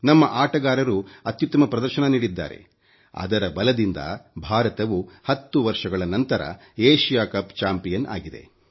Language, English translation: Kannada, Our players performed magnificently and on the basis of their sterling efforts, India has become the Asia Cup champion after an interval of ten years